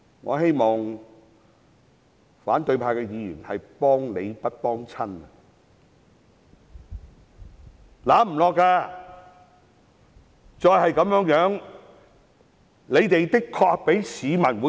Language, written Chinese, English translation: Cantonese, 我希望反對派議員今天可以"幫理不幫親"，不應該支持他們。, I hope Members of the opposition will today put reason before partisan politics and refrain from supporting them